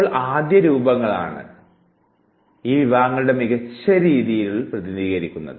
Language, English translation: Malayalam, Now, prototypes are the best representatives of these categories